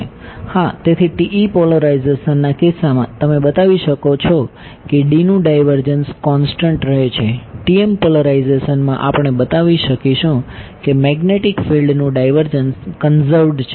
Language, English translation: Gujarati, Yeah, so in this is when the case of TE polarization you could show that del divergence of D remains constant, in the TM polarization we will be able to show that divergence of magnetic field remains conserved